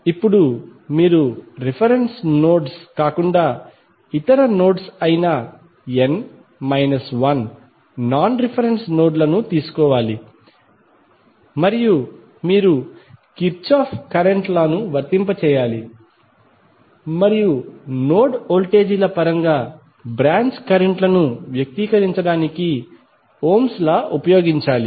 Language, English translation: Telugu, Now, you have to take n minus 1 non reference nodes that is the nodes which are other than the reference nodes and you have to apply Kirchhoff Current Law and use Ohm's law to express the branch currents in terms of node voltages